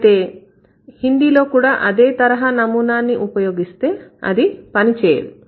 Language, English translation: Telugu, Now if we follow the same pattern for Hindi, it is not going to work